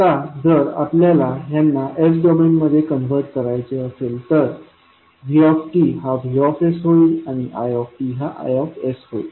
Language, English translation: Marathi, Now, if we have to convert them into s domain vt will become vs, it will become i s